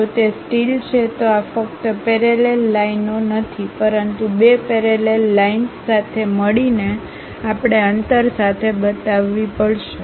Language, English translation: Gujarati, If it is a steel, these are not just parallel lines, but two parallel line together we have to show with a gap